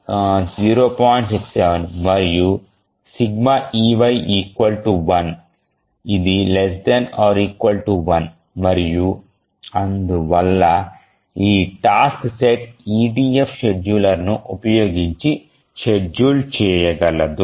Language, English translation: Telugu, 67 and sigma EY is equal to 1, which is less than equal to 1, and therefore this task set is feasibly schedulable using the EDF scheduler